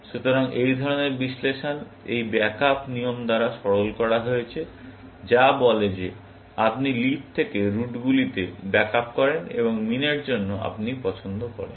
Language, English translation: Bengali, So, this kind of analysis is simplified by this back up rule, which says that you back up from leaf to the routes, and for min, you choose